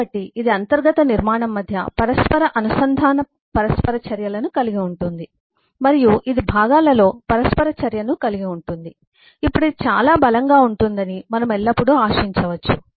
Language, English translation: Telugu, so this involves eh, inter connect interactions between the internal structure and this involves interaction across components then we can always exp, we will always expect that this will be much stronger